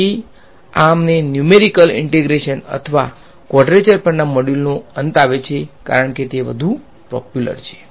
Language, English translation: Gujarati, So, this brings us to an end of this module on numerical integration or quadrature as it is more popularly known